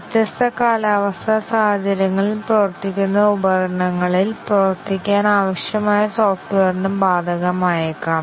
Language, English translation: Malayalam, Possibly, applicable to software that is required to work in devices which might work in different climatic conditions